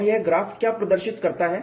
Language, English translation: Hindi, And you also looked at these graphs